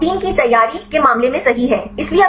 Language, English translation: Hindi, So, in the case of the protein preparation right